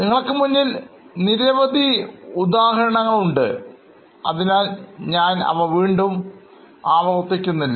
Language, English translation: Malayalam, There are variety of examples which are in front of you so I am not repeating them